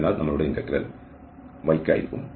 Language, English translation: Malayalam, So our integral will be for y